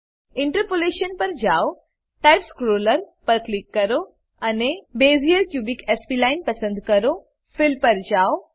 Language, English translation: Gujarati, Go to Interpolation Click on Type scroller and Select Bezier cubic spline Go to Fill